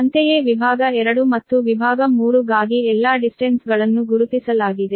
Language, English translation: Kannada, similarly, for section two and section three, all the distances are marked